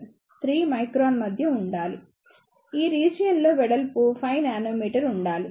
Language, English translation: Telugu, 3 micron, in this region, the width should be of around 5 nanometer